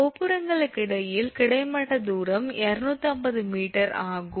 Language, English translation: Tamil, The horizontal distance between the towers is 250 meter